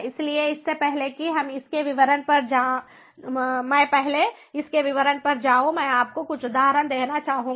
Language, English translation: Hindi, so before i go to the details of it, i would like to give you a few examples